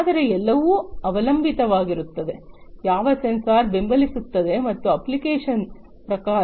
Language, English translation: Kannada, But it all depends, you know, which sensor is supporting, which type of application